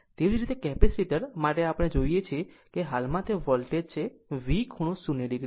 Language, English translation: Gujarati, Similarly, for capacitor we see the currently it is the voltage, V angle 0 minus jX C